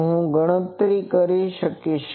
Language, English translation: Gujarati, So, I will be able to do that